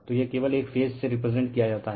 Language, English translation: Hindi, So, this is represented by only one phase right